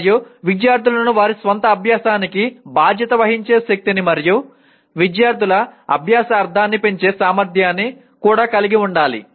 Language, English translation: Telugu, And also it has the potential to empower students to take charge of their own learning and to increase the meaningfulness of students learning